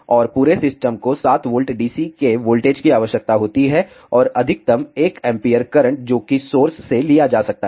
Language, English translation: Hindi, And, entire system requires a voltage of 7 volt DC and maximum current that can be drawn from the source is one ampere